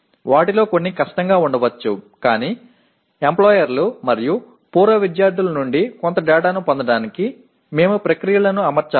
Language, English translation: Telugu, Some of them could be difficult but we have to set the processes in place to get some data from the employers and the alumni